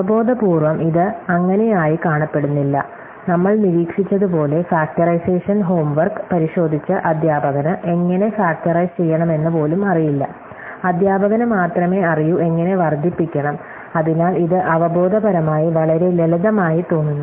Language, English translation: Malayalam, So, intuitively this is does not seen to be the case, as we observed, the teacher who was checking the factorization homework, need not even know how to factorize, teacher only needs to know, how to multiply, so it seems intuitively much simpler to check a solution, then to actually generate one